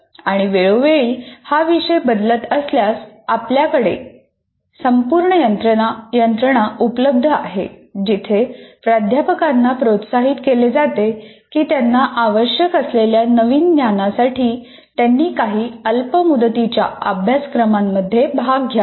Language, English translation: Marathi, And if the subject matter is changing from time to time, we have a whole bunch of mechanisms available where faculty are encouraged to go and attend some short term courses with the new knowledge that they need to have